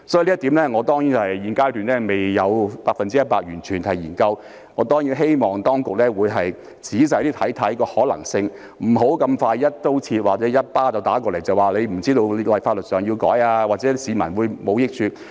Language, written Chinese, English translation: Cantonese, 所以，對於這一點，我現階段未有進行 100% 的研究，但我當然希望當局會仔細審視當中的可能性，不要這麼快便一刀切，或者送我一巴掌，說我不知道法律上會作出修訂，甚或對市民沒有益處。, So despite the fact that I have not yet conducted a full study on this point at the present stage I certainly hope that the authorities closely examine the possibility instead of making a blanket response or slapping me in the face by saying that I do not know there will be legislative amendments or even that it is of no benefit to the public